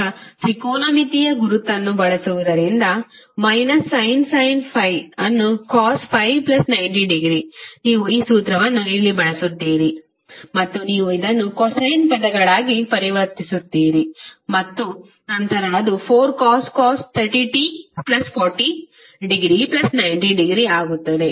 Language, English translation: Kannada, Now using technometric identity, what you will write, since you know that minus sine 5 is equal to cost 5 plus 90 degree, you will use this formula here and you will convert this into cosine terms and then it will become 4 cost 30 t plus 40 degree plus 90 degree